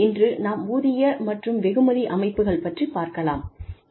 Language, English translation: Tamil, Let us discuss, pay and reward systems, today